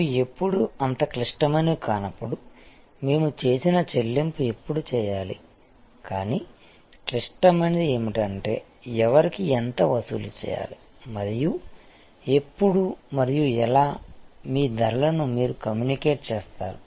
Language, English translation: Telugu, And when should the payment we made where these are more no so critical, but what is critical is how much to charge whom and when and how do you communicate your prices